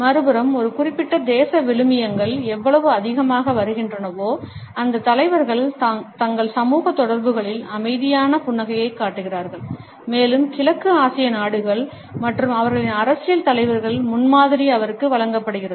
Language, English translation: Tamil, On the other hand, the more a particular nation values come, the more those leaders show calm smiles in their social interactions and she is given the example of East Asian countries and their political leaders